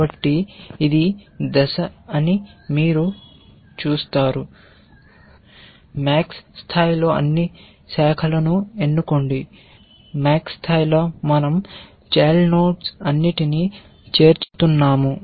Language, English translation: Telugu, So, you will see that this is the step, at max level choose all branches, at max level we are adding all the children